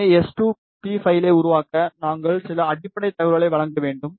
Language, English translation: Tamil, So, to make the s2p file, we need to just provide some basic information